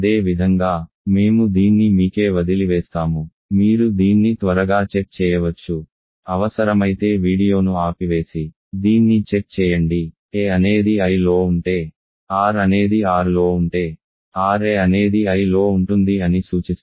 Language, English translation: Telugu, Similarly, so, I will leave this for you, you can quickly check this if needed stop the video and check this, if I is in I, a is in I, r is in R this implies, ra is in I